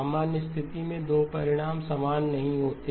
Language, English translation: Hindi, In the general case the 2 results are not the same